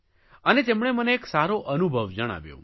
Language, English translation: Gujarati, And they shared a very good experience